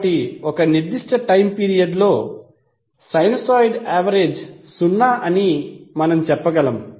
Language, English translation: Telugu, So we can say that average of sinusoid over a particular time period is zero